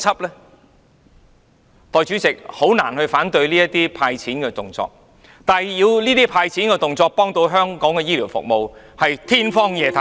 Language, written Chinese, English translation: Cantonese, 代理主席，我很難反對這種"派錢"的動作，但說這種"派錢"的動作能夠幫助香港的醫療服務，是天方夜譚。, Deputy President I do not oppose this way of handing out money but we are fooling ourselves to say that such act of handing out money can improve the health care services of Hong Kong